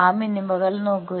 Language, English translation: Malayalam, look at those minima